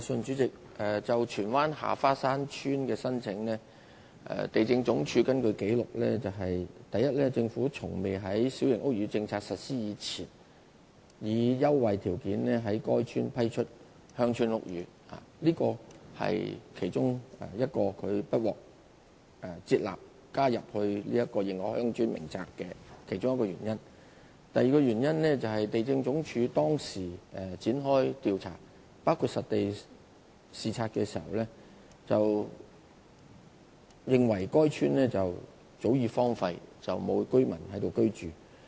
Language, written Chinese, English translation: Cantonese, 主席，就荃灣下花山村的申請，根據地政總署的紀錄，第一個原因是，政府從未在新界小型屋宇政策實施前，以優惠條件批出在該處興建鄉村屋宇。這是它不獲接納列入《認可鄉村名冊》的其中一個原因。第二個原因是，地政總署當時曾展開調查，包括進行實地視察，認為該村早已荒廢，沒有居民在該處居住。, President as regards the application submitted by Ha Fa Shan Village in Tsuen Wan according to the records of LandsD it was rejected because first village houses had not been granted on concessionary terms in that village before the implementation of the Policy which was one of the reasons why the village failed to be included in the List of Established Villages; second by the time LandsD launched investigations into the case including the site inspection it considered the village a long deserted one without any villagers dwelling in it